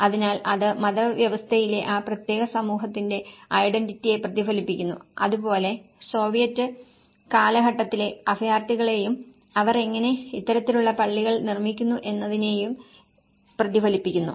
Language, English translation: Malayalam, So, it reflects the identity of that particular community in the religious system and similarly, the Soviet that time refugees and how they build this kind of mosques